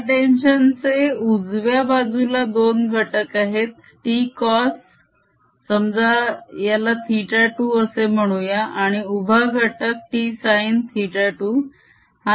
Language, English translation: Marathi, this tension on right hand side on two components, t minus cosine of, let's call it theta two, and vertical component t sin of theta two